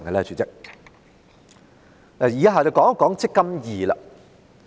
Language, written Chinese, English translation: Cantonese, 主席，以下我會討論"積金易"。, President I will now discuss the eMPF Platform